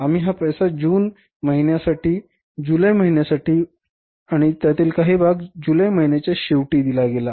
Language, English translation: Marathi, We used this money for the month of June for the month of July and part of the amount was paid in the month of July at the end of July